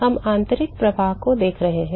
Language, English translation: Hindi, We have been looking at internal flows